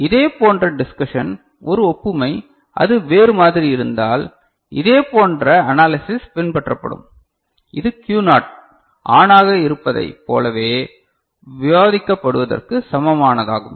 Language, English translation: Tamil, Similar discussion, just a analogues, if it is otherwise the similar analysis will follow which is equivalent for whatever we discuss for Q naught being ON